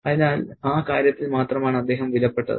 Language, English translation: Malayalam, So, he was valuable only in that regard